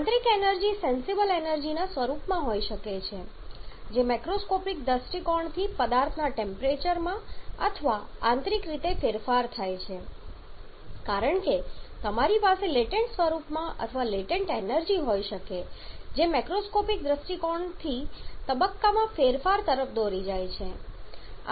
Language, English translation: Gujarati, Internal energy can manifest in the form of sensible energy which macroscopic point of view leads to the change in temperature of the substance or internally as you can have latent form or latent energy which leads to the change in phase from macroscopic point of view